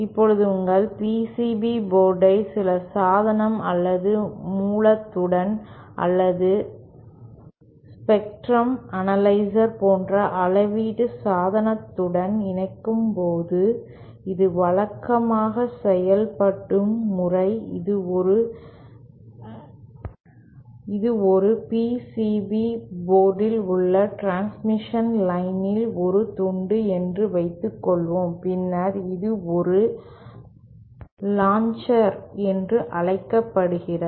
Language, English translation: Tamil, Now, when you connect your PCB board to the to some device or source or some measurement device like spectrum analyser, the way it is usually done is that suppose this is a piece of transmission line on a PCB board, then something called a launcher is connected like this